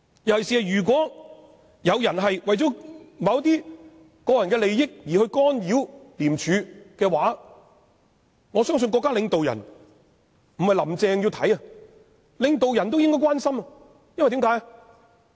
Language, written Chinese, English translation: Cantonese, 尤其是如果有人為了自己的個人利益而干擾廉署，我相信不僅"林鄭"要留意，連國家領導人也要關心，為甚麼呢？, Especially if some people are intervening in the operation of ICAC for the sake of personal interests I think not only Mrs Carrie LAM has to pay attention but our state leaders also have to show concern . Why?